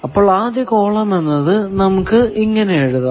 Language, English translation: Malayalam, So, for the first column we can say 0